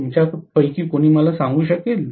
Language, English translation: Marathi, Can any one of you tell me